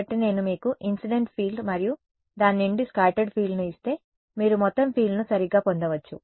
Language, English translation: Telugu, So, if I give you incident field and the scattered field from that you can get total field right